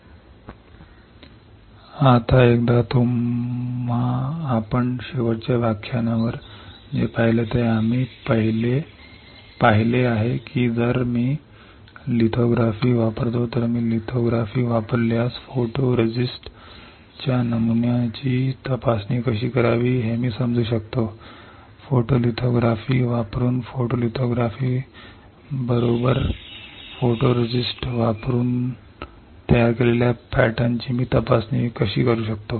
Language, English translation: Marathi, Now, once you know this let us see quickly the section of lithography, yesterday what we have seen on last lecture what we have seen that if I use lithography if I use lithography I can understand how to inspect the pattern of photoresist; how to I can inspect the pattern created by the photoresist using what photolithography correct using photolithography